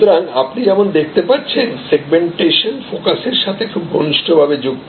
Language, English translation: Bengali, So, as you see therefore, segmentation is very closely link with focus